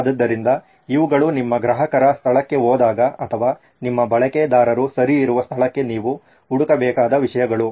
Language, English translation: Kannada, So these are things that you need to be looking for when you go to your customer place or users place where your user is okay